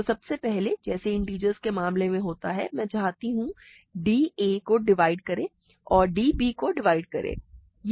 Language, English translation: Hindi, So, first of all just like in the integer case, I want d to divide a and d to divide b, ok